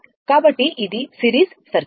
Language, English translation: Telugu, So, this is the this is the series circuit